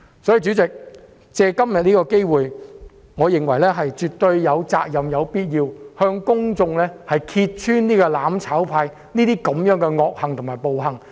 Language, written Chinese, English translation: Cantonese, 因此，藉今天的機會，我認為議員絕對有責任、有必要向公眾揭穿"攬炒派"的惡行和暴行。, I therefore take the opportunity today to express my views that Members are duty - bound to expose the wrongdoings and atrocities committed by the mutual destruction camp